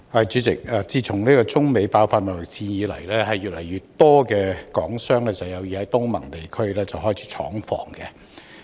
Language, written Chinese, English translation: Cantonese, 主席，自中美爆發貿易戰以來，越來越多港商有意在東盟地區開設廠房。, President since the outbreak of the Sino - United States trade war more and more Hong Kong businessmen wish to set up factory operations in the ASEAN region